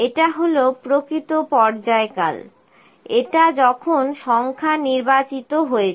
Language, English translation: Bengali, This is actual period, this is the when is number selected